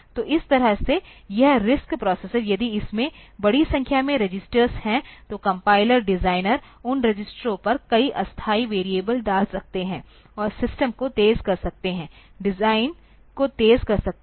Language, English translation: Hindi, So, that way this RISC processor, if it has large number of registers then the compiler designer can put a number of temporary variables onto those registers and make the system fast, make the design fast